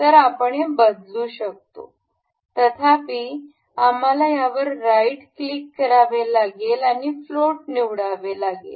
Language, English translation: Marathi, So, we can change this; however, we will have to right click this and select float